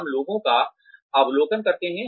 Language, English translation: Hindi, We observe people